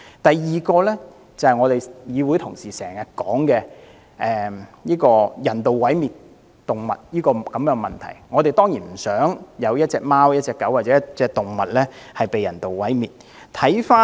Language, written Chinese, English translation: Cantonese, 第二，議會同事經常提及人道毀滅動物的問題，我們當然不想有貓、狗或動物被人道毀滅。, Second some Members often mention the issue of euthanasia of animals . We certainly do not want dogs cats or other animals to be euthanized